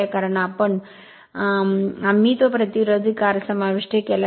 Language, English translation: Marathi, That because, we have inserted that resistance R